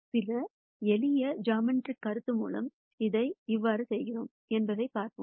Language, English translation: Tamil, Now let us proceed to see how we do this through some simple geometric concept